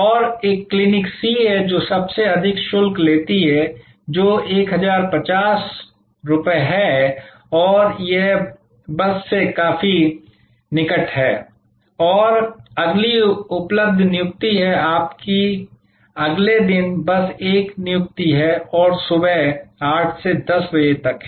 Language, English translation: Hindi, And there is a Clinic C, which charges the highest which is 1050 and it is just located quite close by and the next available appointment is, you have an appointment just the next day and there hours are 8 am to 10 pm